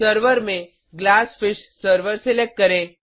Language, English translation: Hindi, Select GlassFish server as the Server